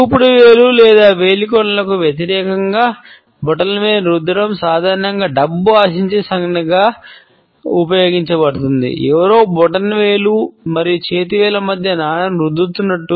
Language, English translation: Telugu, Rubbing the thumb against the index finger or fingertips is used as a money expectancy gesture normally, as if somebody is rubbing a coin between the thumb and the fingertips